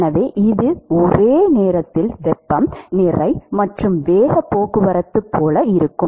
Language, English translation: Tamil, So, it will be like a simultaneous heat, mass and momentum transport